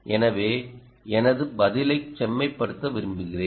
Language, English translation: Tamil, so i would like to refine my answer